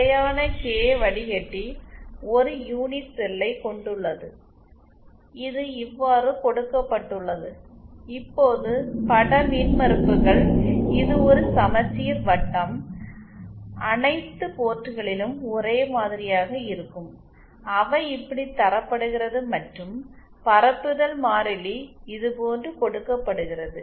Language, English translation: Tamil, The constant k filter has an unit cell which is given like this, now that image impedances, this is a symmetrical circle will be the same at all the ports They are given like this and the propagation constant is given like this